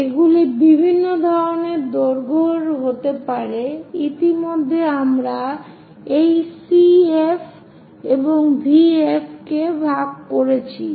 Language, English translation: Bengali, So, these can be at different kind of lengths already we made division for this CV and VF